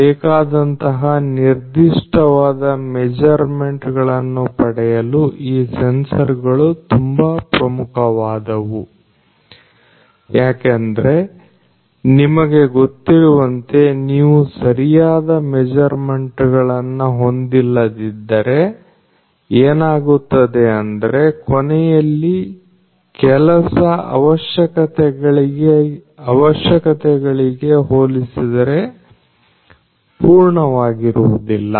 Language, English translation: Kannada, So, these sensors basically are very important in order to get the specific measurements that are required, because you know if you do not have accurate measurements that are done then what will happen is the final job is not going to be perfect as per the requirements